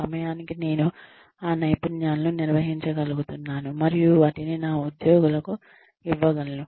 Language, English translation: Telugu, By the time, I am able to organize those skills, and deliver them, give them to my employees